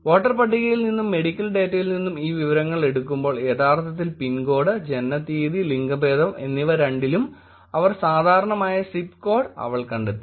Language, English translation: Malayalam, Taking this information which is from voters list and from the medical data putting it together she had found actually zip code, birth date and gender was actually common among both of them